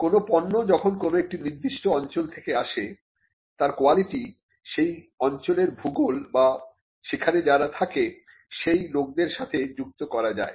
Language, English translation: Bengali, So, when goods come from a particular place and the quality of the good is attributed to that particular place be at by way of its geography or by way of the people who are in that place